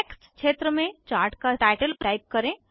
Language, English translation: Hindi, In the Text field, type the title of the Chart